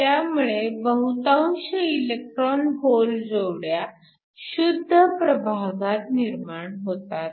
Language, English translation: Marathi, And then most of the electron hole pairs are generated in the intrinsic region